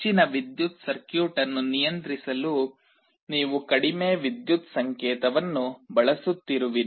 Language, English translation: Kannada, You are using a very low power signal to control a higher power circuit